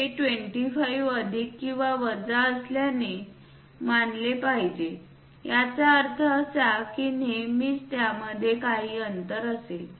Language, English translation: Marathi, This supposed to be 25 plus or minus; that means, there always with some kind of gap